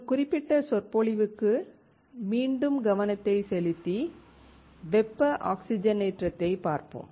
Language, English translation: Tamil, Coming back to this particular lecture, we will look into thermal oxidation